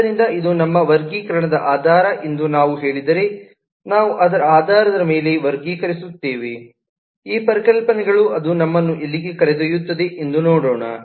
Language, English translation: Kannada, so if we say that this is our basis of classification, that we will classify based on these concepts, then let us see where does it take us